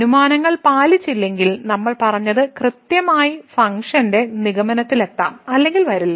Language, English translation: Malayalam, So, exactly what we have said if the hypotheses are not met the function may or may not reach the conclusion